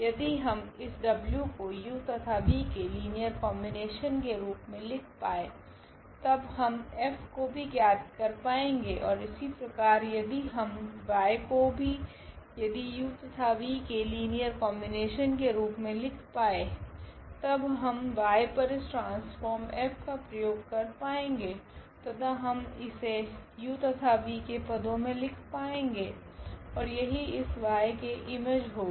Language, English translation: Hindi, If we can if we can write this w as a linear combination of this u and v then we can also find out the F and similarly with y also if we can write down this y as a linear combination of u and v, then we can apply this transformation F on y and we can write down in terms of u and v and that will be the image of this y